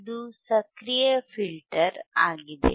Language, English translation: Kannada, This is the active filter